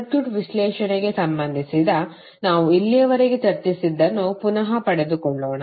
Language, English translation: Kannada, Let us recap what we discussed till now related to circuit analysis